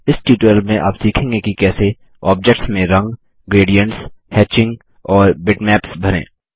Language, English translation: Hindi, Draw objects and fill them with color, gradients, hatching and bitmaps